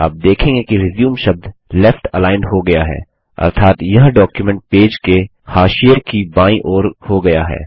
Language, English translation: Hindi, You will see that the word RESUME is left aligned, meaning it is towards the left margin of the document page